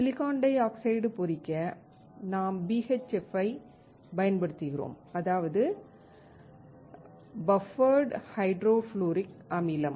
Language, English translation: Tamil, To etch silicon dioxide, we use BHF, that is, Buffered Hydrofluoric acid